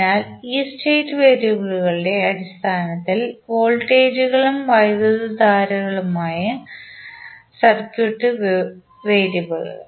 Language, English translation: Malayalam, So, the circuit variables are voltages and currents in terms of these state variables